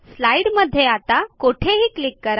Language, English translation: Marathi, Click anywhere in the slide